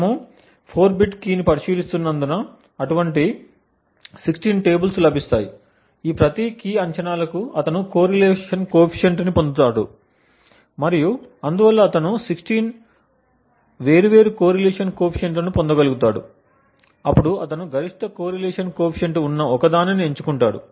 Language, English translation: Telugu, Since we are considering a 4 bit key, so there would be 16 such tables which would be obtained, for each of these key guesses he would compute the correlation coefficient and therefore he would be able to get 16 different correlation coefficients, he would then chose the one correlation coefficient which is the maximum